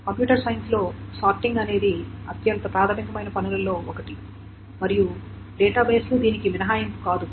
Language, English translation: Telugu, Sorting is one of the most fundamental tasks in computer science and databases are no exception